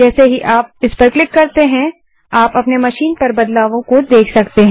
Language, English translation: Hindi, As soon as you click on that you can see that changes have applied to your machine